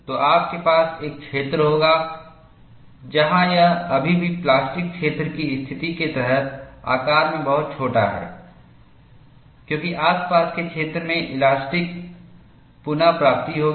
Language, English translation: Hindi, So, you will have a zone, where this is still under plastic zone condition; much smaller in size, because of the elastic recovery of the neighborhood